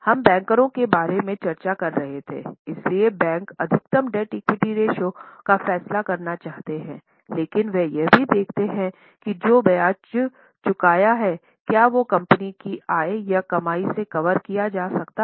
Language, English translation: Hindi, So, bankers want to decide on maximum debt equity ratio, but they also look at whether the interest which is going to be repaid is covered by the income or earnings of the company